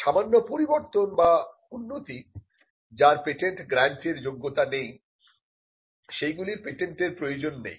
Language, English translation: Bengali, So, small improvements or small changes, which do not merit a patent grant need not be patented